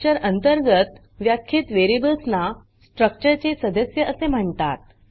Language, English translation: Marathi, Variables defined under the structure are called as members of the structure